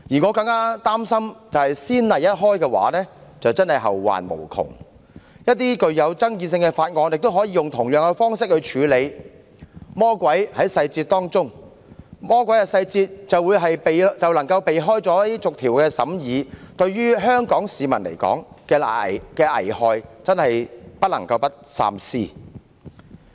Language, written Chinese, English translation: Cantonese, 我個人更擔心先例一開，真的會後患無窮，皆因一些具爭議的法案也可以用同樣方式處理，但許多時，魔鬼在細節中，如採取這種方式，魔鬼細節便能避過逐項審議的程序，遺害或許頗大，故不得不三思。, Personally I am more concerned about one thing that is once a precedent is set endless trouble my follow because some controversial bills can also be dealt with in the same way but very often the devil is in the details . The devil in the details may manage to escape the procedure of clause - by - clause examination when the same approach is taken . This could mean grave consequences and so we have to think twice